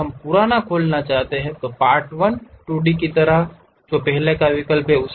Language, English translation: Hindi, If we want to Open the older one, there is option like Part1 2D